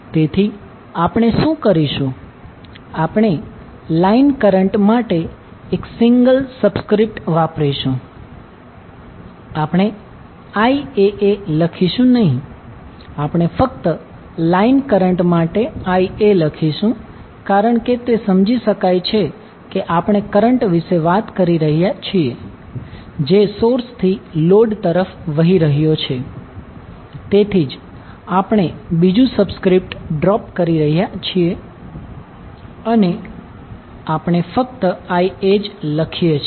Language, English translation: Gujarati, So what we will do we will use single subscript for line current we will not write as IAA we will simply write as IA for the line current because it is understood that we are talking about the current which is flowing from source to load, so that is why we drop the second subscript and we simply write as IA